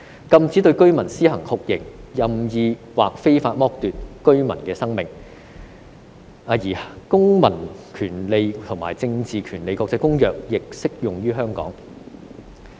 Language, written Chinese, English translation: Cantonese, 禁止對居民施行酷刑、任意或非法剝奪居民的生命"，而《公民權利和政治權利國際公約》亦適用於香港。, Torture of any resident or arbitrary or unlawful deprivation of the life of any resident shall be prohibited and the International Covenant on Civil and Political Rights also applies to Hong Kong